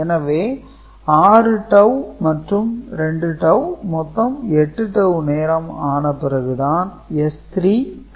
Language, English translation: Tamil, So, the 6 tau and 2 tau together 8 tau will be the time after which S 3 is also available